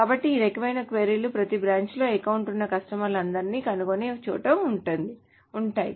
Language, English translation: Telugu, So this kind of queries, wherever there is a find all customers who have an account in every branch